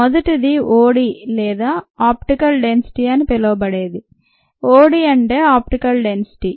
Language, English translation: Telugu, the first one is what is called OD are optical density